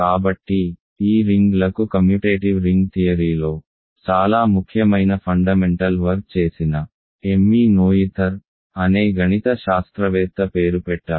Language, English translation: Telugu, So, these rings are named after a mathematician called Emmy Noether who did very important fundamental work in commutative ring theory